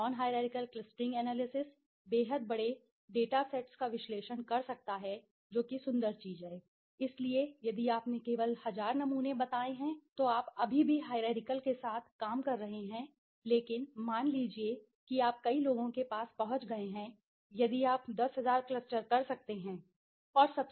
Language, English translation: Hindi, Non hierarchical cluster analysis can analysis the extremely large data sets that is the beautiful thing, so if you have only let say 1000 samples then okay fine, you are still working with the hierarchical but suppose you have got to many, if you 10000 can you do the cluster, yes you can do the cluster